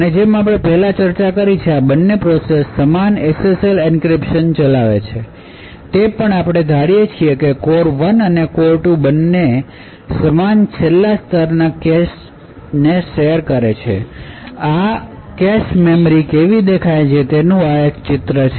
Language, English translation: Gujarati, And as we have discussed before, both of these processes execute the same SSL encryption, also what we assume is that both core 1 and core 2 share the same last level cache, so this is a grown up picture of what the cache memory looks like